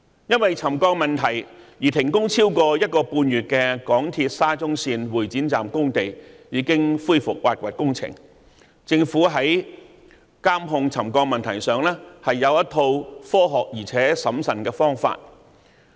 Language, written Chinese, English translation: Cantonese, 因為沉降問題而停工超過一個半月的港鐵沙中線會展站工地已經恢復挖掘工程，政府在監控沉降問題上有一套科學而且審慎的方法處理。, The excavation works at the Exhibition Centre Station of SCL have resumed after being suspended for more than one and a half months due to the problem of settlement . The Government has a scientific and prudent approach for monitoring and controlling settlement